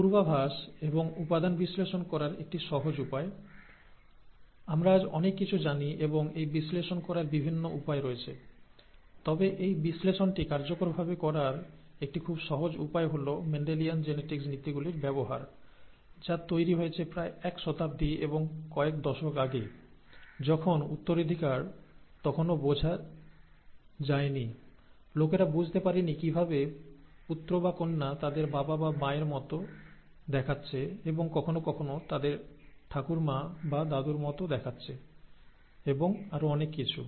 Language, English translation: Bengali, A simpler way to do the predictions and the element analysis, we know a lot today and there are various ways to do this analysis; but a very simple way in which this analysis can be effectively done is by using the principles of ‘Mendelian Genetics’, and the principles of Mendelian Genetics evolved, may be a century and a few decades ago, when inheritance was not even understood, when people did not understand how, what is the basis of the the the son or the daughter looking like their father or the mother, and sometimes looking like their grandmother or the grandfather and so on and so forth